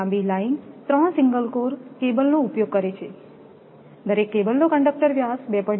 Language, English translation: Gujarati, 4 kilo meter long uses 3 single core cable, each cable has a conductor diameter 2